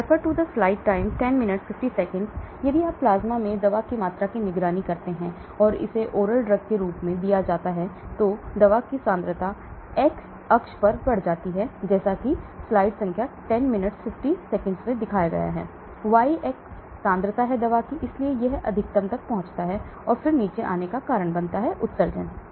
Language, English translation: Hindi, So if you monitor the drug in the plasma, if it is given as a oral drug, the drug concentration increases the x axis is your time, y axis is your concentration, so it reaches a max and then starts coming down because of excretion